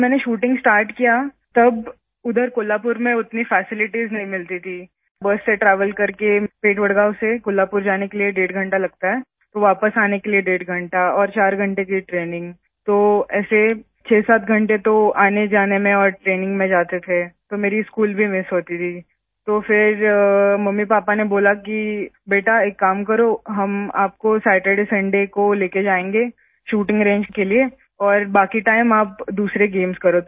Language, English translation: Hindi, It takes one and a half hour to travel from Vadgaon to Kolhapur by bus, then one and a half hour to come back, and four hours of training, so like that, 67 hours for travelling and training, so I used to miss my school too, then MummyPapa said that beta, do one thing, we will take you to the shooting range on SaturdaySunday, and the rest of the time you do other games